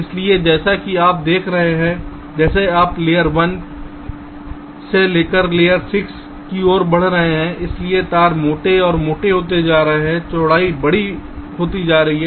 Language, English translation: Hindi, so as you see that, as you are moving from layer one up to layer six, sorry, so the wires are becoming thicker and thicker, the width is becoming larger